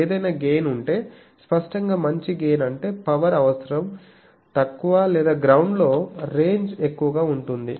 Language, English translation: Telugu, And also if any gain is, obviously better gain means power requirement will be less or more range in the ground